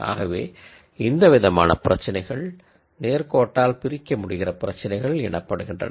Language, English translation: Tamil, So, these are types of problems which are called linearly separable problems